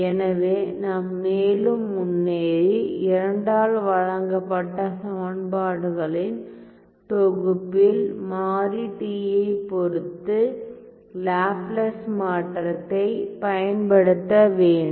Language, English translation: Tamil, So, let me further move ahead and apply Laplace transform with respect to the variable t in my set of equations given by 2